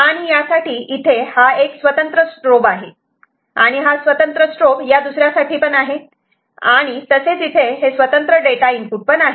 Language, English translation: Marathi, And for this we can see that is the strobe separate strobe, and this is another separate strobe that is present, and separate data that are present